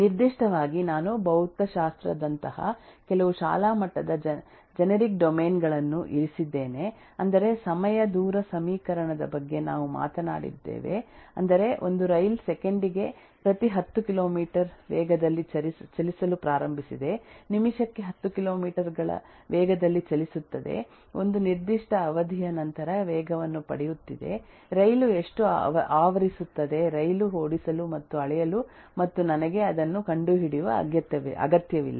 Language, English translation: Kannada, so we have seen a lot of model in different domains so I have just on the left specifically I have kept some school level generic domains like in physics we have talked about time distance equation that is if I know that eh that a train has started moving eh at a at a has been moving at 10 kilometers per second, ab a rather 10 kilometers per per minute and then has been accelerating at a certain rate then our if after a given period of time, how much the train will cover, I do not really need to make the train run and measure and find that out